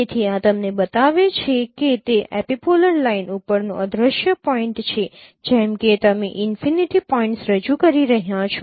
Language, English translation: Gujarati, So, so you this is this shows you that that is the vanishing point over the epipolar line as you are your projecting the points at infinities